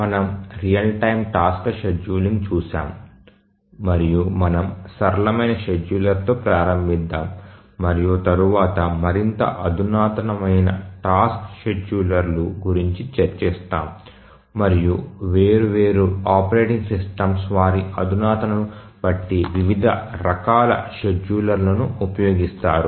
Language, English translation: Telugu, We have been looking at the real time task scheduling and we said that we will start with the simplest schedulers and then as we proceed we will look at more sophisticated task schedulers and different operating systems depending on their sophistication they use different types of schedulers and we said that the clock driven schedulers are the simplest scheduler